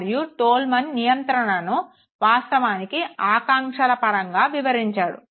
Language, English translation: Telugu, And, Tolman's interpretation of conditioning was basically in terms of expectations